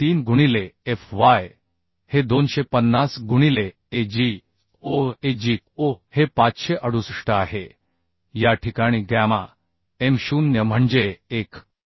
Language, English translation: Marathi, 133 into fy is 250 into Ago Ago is 568 in this case by gamma m0 that is 1